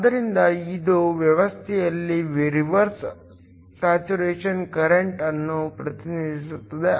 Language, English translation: Kannada, So, this represents the reverse saturation current in the system